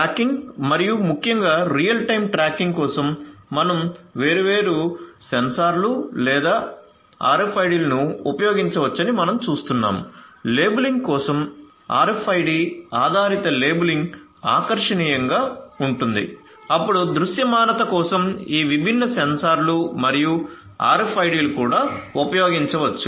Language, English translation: Telugu, So, you see that for tracking and particularly real time tracking we can use different sensors or RFIDs we could use those different devices, for labeling you know RFIDs, RFID based labeling would be attractive then for visibility again this sensors different sensors and even the RFIDs could also be used